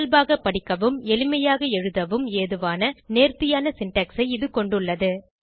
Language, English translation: Tamil, It has an elegant syntax that is natural to read and easy to write